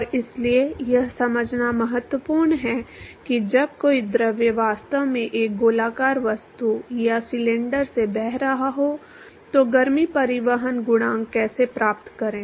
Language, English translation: Hindi, And so, it is important to understand how to find heat transport coefficient when a fluid is actually flowing past a circular object or a cylinder